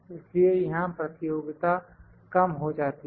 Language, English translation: Hindi, So, the competition is lowered here